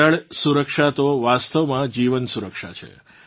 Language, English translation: Gujarati, Water conservation is actually life conservation